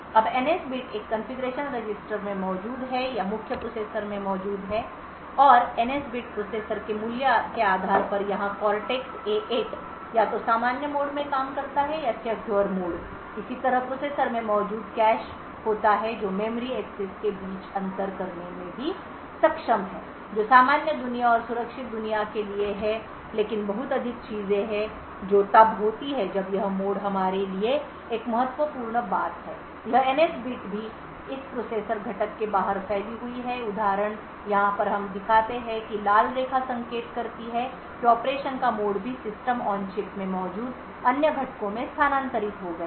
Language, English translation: Hindi, Now the NS bit is present in a configuration register or present in the main processor and based on the value of the NS bit the processor over here the Cortex A8 works in either the normal mode or the Secure mode similarly the cache present in the processor is also able to distinguish between memory accesses which are for the normal world and the secure world but there is a lot more things that happen when there is this mode switch one important thing for us is that this NS bit also extends outside this processor component so for example over here we show that the red line indicates that the mode of operation is also transferred to other components present in the System on Chip